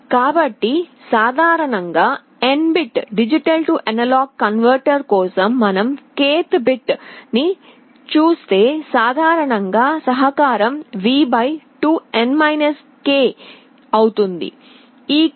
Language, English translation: Telugu, So, for N bit D/A converter in general if you look at the k th bit, the contribution will be V / 2N k in general